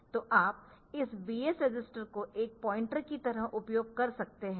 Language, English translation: Hindi, So, you can use this BX register as a something like a pointer ok